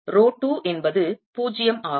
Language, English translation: Tamil, raw two is zero